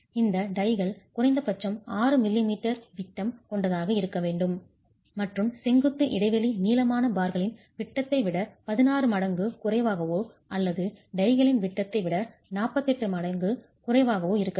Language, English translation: Tamil, These ties should have a diameter of at least 6mm and with the vertical spacing being the lesser of either 16 times the diameter of the longitudinal bars or 48 times the diameter of the ties itself